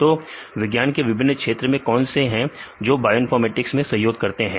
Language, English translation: Hindi, So, what are various fields of science which contribute to bioinformatics